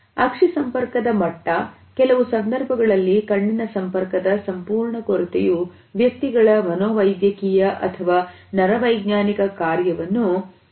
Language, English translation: Kannada, The level of eye contact as well as in some situations and absolute lack of eye contact reflects the persons psychiatric or neurological functioning